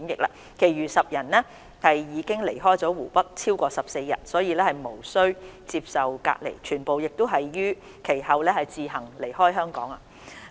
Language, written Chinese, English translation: Cantonese, 其餘10人因已離開湖北超過14日，無須接受隔離，全部亦已於其後自行離開香港。, For the remaining 10 people no quarantine was required as they had departed Hubei for more than 14 days and all of them had thereafter left Hong Kong on their own